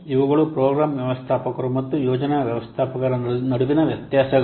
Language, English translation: Kannada, These are the differences between program managers and the project managers